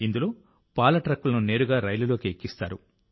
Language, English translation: Telugu, In this, milk trucks are directly loaded onto the train